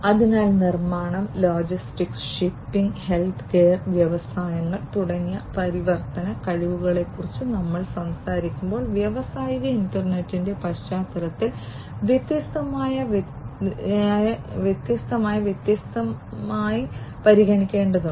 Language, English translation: Malayalam, So, when we talk about transformation capabilities such as manufacturing, logistics, shipping, healthcare and industries these will have to be taken in the into consideration differentially, differently in the context of industrial internet